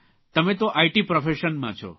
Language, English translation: Gujarati, You are from the IT profession,